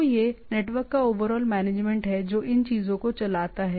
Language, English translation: Hindi, So it is the overall management of the network which makes these things running